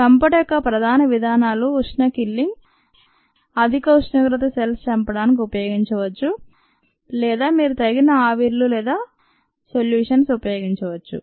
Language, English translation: Telugu, the main modes of killing include ah thermal killing a high temperature can be used to kill cells or could use a appropriate vapours or liquids ah